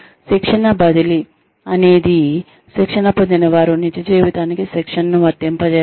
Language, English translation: Telugu, Transfer of training is, where trainees apply the training, to real life